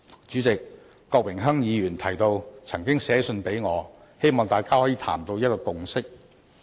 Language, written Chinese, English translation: Cantonese, 主席，郭榮鏗議員提到他曾寫信給我，希望大家可以商談，取得共識。, President Mr Dennis KWOK mentioned that he had written a letter to me expressing his hope that both sides could negotiate and reach a consensus